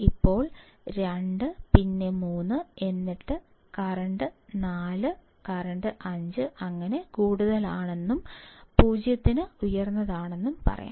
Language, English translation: Malayalam, Then 2, then 3 then let’s say current is 4 current becomes higher, still higher for 0